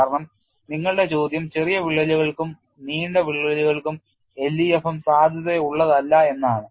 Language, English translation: Malayalam, Because your question is LEFM is not valid for short cracks as well as for long cracks